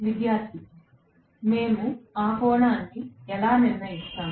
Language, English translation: Telugu, Student: How do we decide that angle